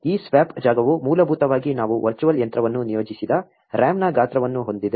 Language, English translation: Kannada, This swap space is essentially the same size the RAM that we allocated virtual machine